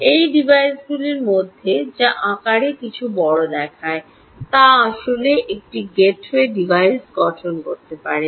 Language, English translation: Bengali, any of these devices which looks slightly bigger in size can actually form a gateway device